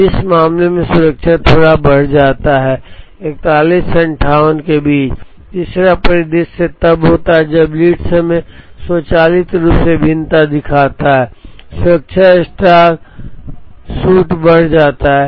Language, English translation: Hindi, Now, in this case the safety moves up a little bit from 41 to 58 the 3rd scenario is when the lead time shows variation automatically, the safety stock shoots up